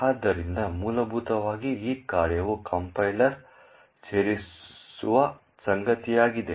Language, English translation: Kannada, This function is something which the compiler adds in